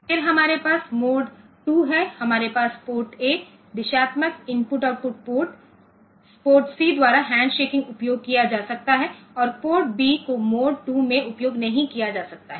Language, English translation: Hindi, Then we have mode 2, we have port A can be used as by directional I O port with handshaking from port C and port B cannot be used in mode 2